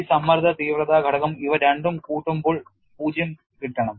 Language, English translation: Malayalam, This stress intensity factor the addition of these two should go to 0